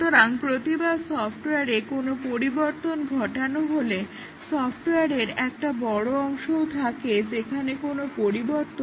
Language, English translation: Bengali, So, each time there is a change to the software, there is a large part of the software that has not changed